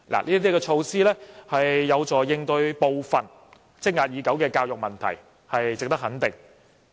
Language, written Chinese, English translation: Cantonese, 這些措施有助應對部分積壓已久的教育問題，是值得肯定的。, These measures will definitely help resolve some long - standing education problems